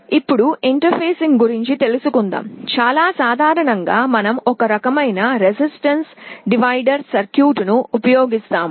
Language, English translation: Telugu, Now, talking about interfacing very typically we use some kind of a resistance divider circuit